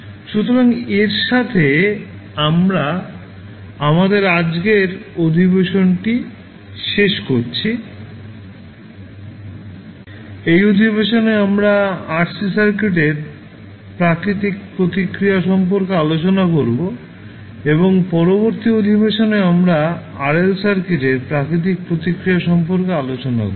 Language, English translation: Bengali, So with this we close our today’s session, in this session we discuss about the natural response of RC circuit and in next session we will discuss about the natural response of RL circuit